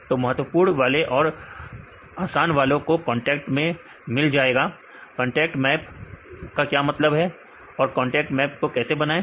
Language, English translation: Hindi, So, the most important once and the easiest once they get the contact maps right what is the meaning of contact map how to construct contact map